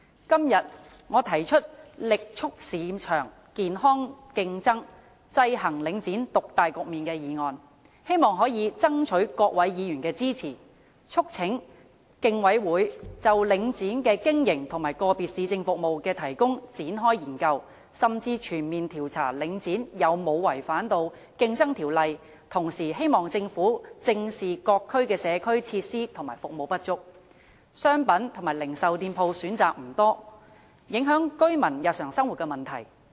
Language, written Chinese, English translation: Cantonese, 今天，我提出"力促市場健康競爭，制衡領展獨大局面"的議案，希望可以爭取各位議員的支持，促請競爭事務委員會就領展的經營和個別市政服務的提供展開研究，甚至全面調查領展有否違反《競爭條例》，同時希望政府正視因各區社區設施和服務不足、商品和零售店鋪選擇不多而影響居民日常生活的問題。, Today I have proposed the motion on Vigorously promoting healthy market competition to counteract the market dominance of Link REIT in a bid to seek Members support for urging the Competition Commission to commence a study on the operation of Link REIT and the provision of individual municipal services and even a comprehensive investigation into whether Link REIT has violated the Competition Ordinance . Meanwhile it is hoped that the Government will address squarely the problem of residents daily lives being affected by an inadequacy of district facilities and services and limited choices of goods and retail shops in various districts